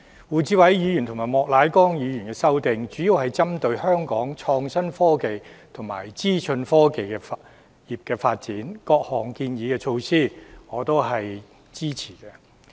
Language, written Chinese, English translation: Cantonese, 胡志偉議員和莫乃光議員的修正案主要針對香港創新科技和資訊科技業的發展，各項建議措施我是支持的。, The amendments of Mr WU Chi - wai and Mr Charles Peter MOK mainly target at the development of Hong Kongs innovative technology and information technology industries . I support the various measures they have proposed